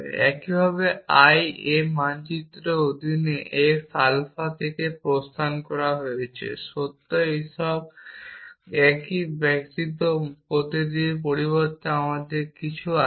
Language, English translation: Bengali, Likewise the exits x alpha under i A maps true all this is a same except that instead of every we have some